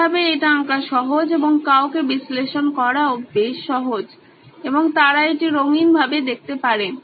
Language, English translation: Bengali, It is easier to draw it in this manner and to explain it to somebody is also quite easy and also they can see it in colours